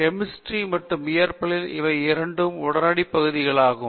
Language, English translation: Tamil, In chemistry and physics, these are the two immediate areas